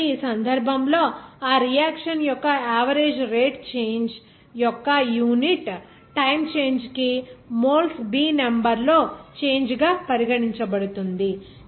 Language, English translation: Telugu, So, in this case, the average rate of that reaction will be considered as change in the number of moles B per unit time of change